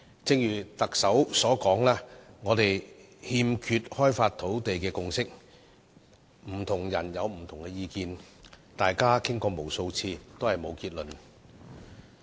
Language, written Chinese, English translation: Cantonese, 正如特首所說，我們欠缺開發土地的共識，不同人持不同意見，大家已就此討論了無數次，但最終也未能得出結論。, As pointed out by the Chief Executive we have failed to reach a consensus on land development with various people holding diverse views . Although countless discussions have been held we can still not reach a conclusion in the end